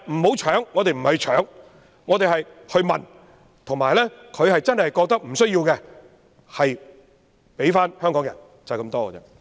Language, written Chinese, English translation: Cantonese, 但是，我們不是搶，而是問，如果中央政府真的覺得不需要有關土地，便交回香港人，就是這樣。, However we are not scrambling for the sites but are asking for them . If the Central Government really thinks that those land sites are not needed it should return them to Hong Kong people and that is my proposal